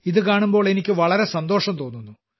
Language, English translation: Malayalam, I am also very happy to see this